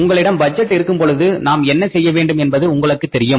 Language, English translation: Tamil, When you have the budget, you know what is expected to be done